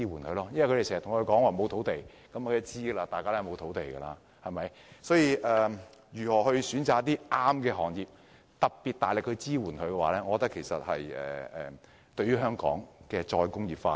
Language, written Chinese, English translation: Cantonese, 政府經常說沒有土地，大家都是知道的，所以要挑選一些合適的行業，並給予大力支援，我認為會有助香港再工業化。, The Government always talks about the lack of land which is a well - known fact . This is why it is all the more important to identify the appropriate industries and then provide strong support . I think this would help Hong Kong to re - industrialize